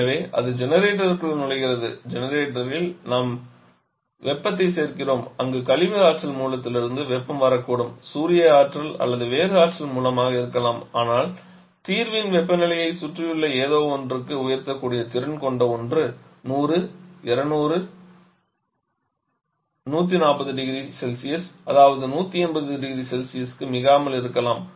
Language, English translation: Tamil, So, it is entering the generator in the generator we are adding heat where the heat can be coming from west energy source maybe solar energy or whatever the source of energy but something which is capable of rising the temperature of the solution to something around 100 120 or 140 degree Celsius not more than 180 degree Celsius